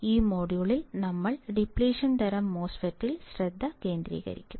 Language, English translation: Malayalam, In this module we will concentrate on depletion type MOSFET